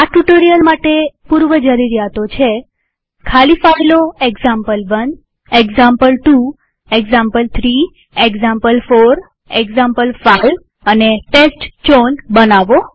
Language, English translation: Gujarati, The prerequisite for this tutorial is to create empty files named as example1, example2, example3, example4, example5, and testchown